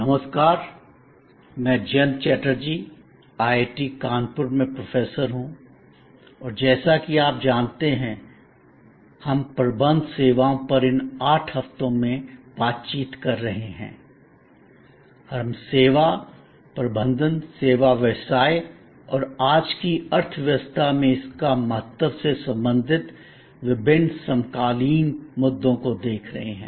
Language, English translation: Hindi, Hello, I am Jayanta Chatterjee, Professor at IIT, Kanpur and as you know, we are interacting over these 8 weeks on Managing Services and we are looking at various contemporary issues relating to service management, service business and its importance in today's economy